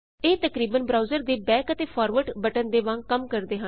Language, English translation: Punjabi, It more or less acts like the back and forward button in a browser